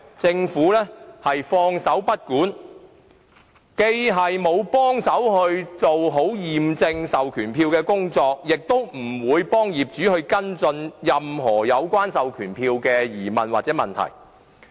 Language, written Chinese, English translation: Cantonese, 政府放手不管，既沒有協助做好驗證授權書的工作，也不會協助業主跟進任何有關授權書的疑問或問題。, The Government has refused involvement in the matter it has not done a proper job of verifying the proxy instruments and also would not assist owners in the follow - up of questions or problems relating to the proxy forms